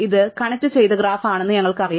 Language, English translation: Malayalam, We know it is a connected graph